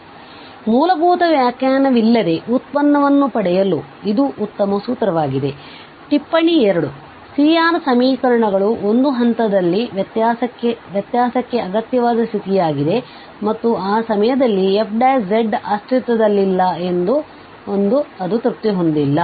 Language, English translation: Kannada, So, this is a nice formula for getting the derivative without the fundamental definition for instance, the note 2 the C R equations are necessary condition for differentiability at a point and they are not satisfied that f prime z does not exist at that point